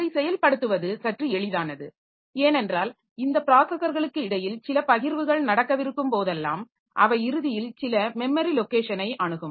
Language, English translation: Tamil, So, that is a bit easy to implement because of the fact that so whenever there is some sharing considered between these processors so they are ultimately accessing some memory location